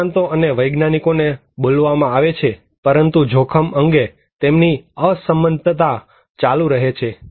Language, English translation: Gujarati, Experts and scientists are called and but disagreement continued about risk